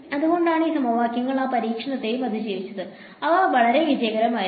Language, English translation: Malayalam, So, that is why so these equations survive that test also and they have been very very successful